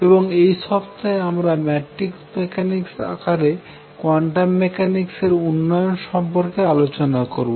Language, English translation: Bengali, And this week has been devoted to the formal development of quantum mechanics in terms of matrix mechanics